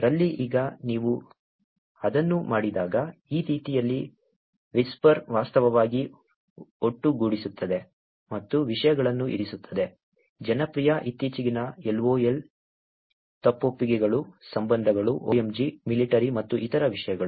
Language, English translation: Kannada, In the, now when you do it, this is the way that Whisper actually collates and puts the contents; popular, latest, LOL, confessions, relationships, OMG, military and other topics